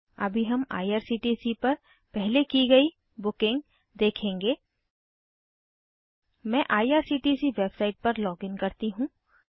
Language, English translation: Hindi, We will now see the pass bookings at IRCTC, let me login to irctc website